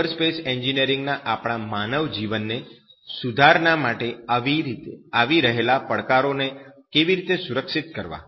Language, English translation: Gujarati, How to secure you know cyberspace engineering challenges are coming from then onwards for the betterment of our human life